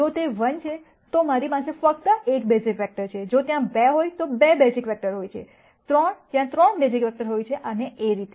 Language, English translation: Gujarati, If it is 1 then I have only 1 basis vector, if there are 2 there are 2 basis vectors 3 there are 3 basis vectors and so on